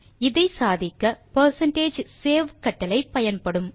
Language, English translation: Tamil, So, This is possible by using the percentage save command